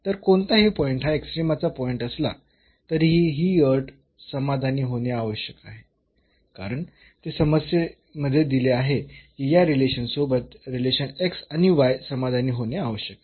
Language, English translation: Marathi, So, whatever point is the point of extrema this condition has to be satisfied because, that is given in the problem that the relation x and y must be satisfied with this relation